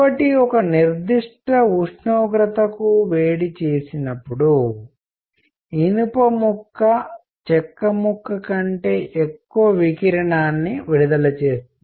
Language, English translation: Telugu, So, iron when heated to a certain temperature would emit much more radiation than a piece of wood